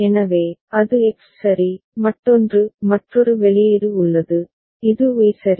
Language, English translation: Tamil, So, that is X right, another is another output is there which is Y ok